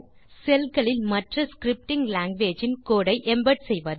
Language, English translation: Tamil, Embed code of other scripting languages in the cells